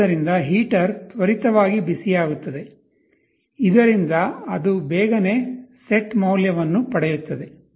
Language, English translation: Kannada, So, the heater heats up quickly so that it very quickly attains the set value